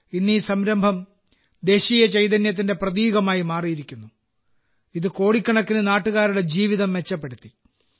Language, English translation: Malayalam, Today this initiative has become a symbol of the national spirit, which has improved the lives of crores of countrymen